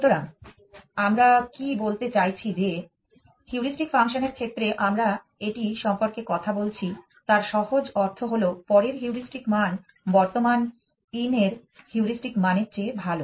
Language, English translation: Bengali, So, what we mean that better this that in the case of heuristic function that we were talking about it simply means the heuristic value of next is better than the heuristic value of current in